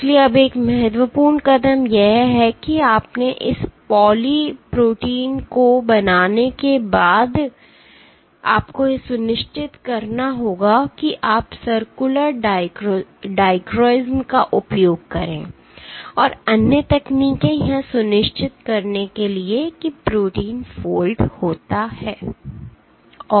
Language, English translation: Hindi, So, now one important step is after you have made this poly protein you have to make sure you use Circular Dichroism, and other techniques to make sure that the protein folds and is stable, is stable